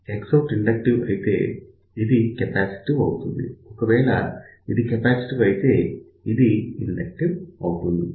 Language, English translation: Telugu, So, if X out is inductive, this will be capacitive; if this is capacitive, this will become inductive